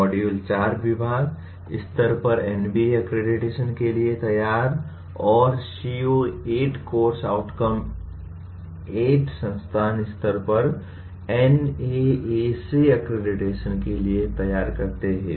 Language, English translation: Hindi, Module 4 prepare for NBA accreditation at the department level and CO8, course outcome 8 prepare for NAAC accreditation at the institute level